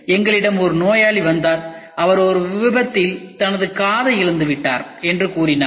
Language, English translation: Tamil, We had a patient who came to us and said that he has lost his ear in an accident